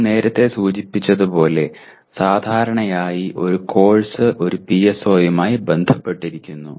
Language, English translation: Malayalam, As we mentioned earlier, generally a course gets associated with one PSO